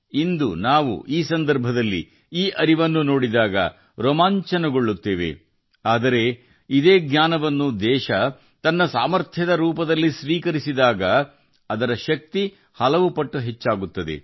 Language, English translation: Kannada, When we see this knowledge in today's context, we are thrilled, but when the nation accepts this knowledge as its strength, then their power increases manifold